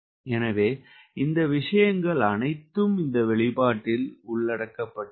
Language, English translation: Tamil, so all these things will be covered into this expression